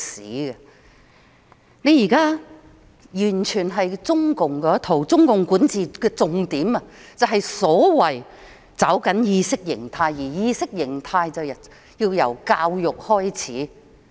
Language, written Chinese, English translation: Cantonese, 政府現在完全奉行中共那一套，而中共管治的重點便是所謂的"抓緊意識形態"，而意識形態便要由教育開始。, The Government fully toes the line of the Communist Party of China CPC now and the essence of CPCs governance is to grasp firmly the ideology and ideology starts from education